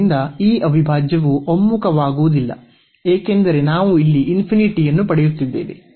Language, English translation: Kannada, So, this integral does not converge because we are getting the infinity here